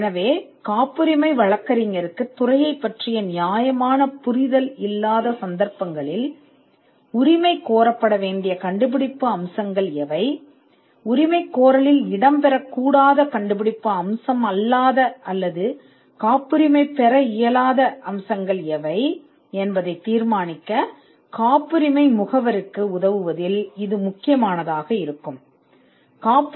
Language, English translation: Tamil, So, in cases where the patent attorney does not have a fair understanding of the field, then this will be critical in helping the patent agent to determine what should be the inventive features that are claimed, and what are the non inventive or non patentable features that should not figure in the claim